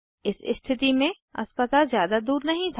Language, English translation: Hindi, In this case, the hospital was not far away